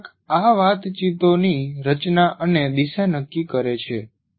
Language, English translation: Gujarati, Teacher determines the structure and direction of these conversations